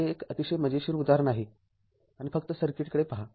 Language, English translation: Marathi, So, this is very interesting problem and just look at the circuit right